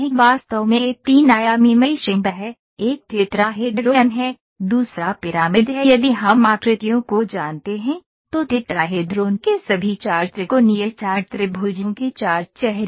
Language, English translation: Hindi, Actually this is three dimensional meshing, one is tetrahedron, another is pyramid if we know the shapes, tetrahedron has 4 faces all the 4 triangular four triangles